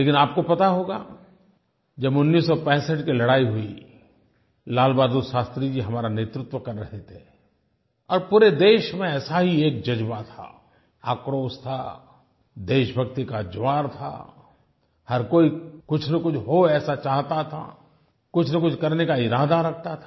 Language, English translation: Hindi, But, you must be aware that during the 1965war, Lal bahadur Shastri Ji was leading us and then also similar feelings of rage, anger and patriotic fervour were sweeping the nation